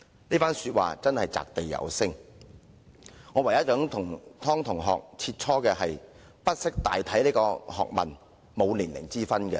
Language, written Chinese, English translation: Cantonese, 這番說話真是擲地有聲，我唯一想與湯同學切磋的是，不識大體這學問並沒有年齡之分。, The only point that I would like to share with TONG is that people of any age can ignore the general interest not just young people